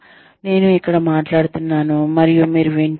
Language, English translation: Telugu, Where, I am speaking, and you are listening